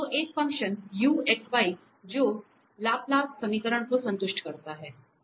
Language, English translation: Hindi, So, a function uxy which satisfy Laplace equation